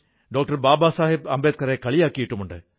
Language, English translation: Malayalam, Baba Saheb Ambedkar